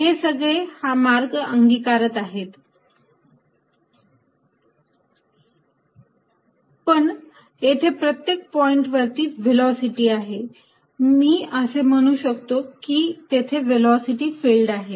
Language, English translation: Marathi, It obviously, each one follow the trajectory like this, but there at each point, there is a velocity, I can say, there is a velocity field